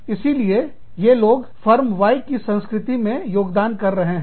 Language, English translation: Hindi, So, these people are contributing, to the culture of, Firm Y